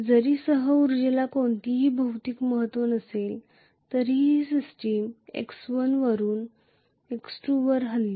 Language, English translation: Marathi, Although co energy does not have any physical significance, then the system moved from x1 to x2